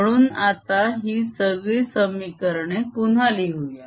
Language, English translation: Marathi, so let's write all these equations again